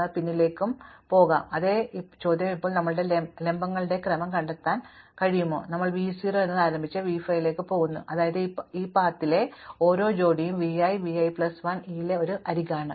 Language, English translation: Malayalam, We can go backwards and forwards and the same question now, can we find a sequence of vertices, which starts at v 0 and goes to v 5 such that every pair on this path, every v i, v i plus 1 is an edge in E